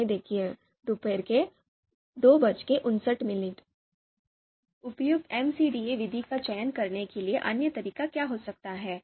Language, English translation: Hindi, Now what could be the other approach to select an appropriate MCDA method